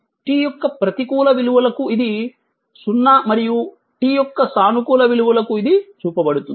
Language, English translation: Telugu, So, negative value of t it is 0 and for positive value of t it is shown right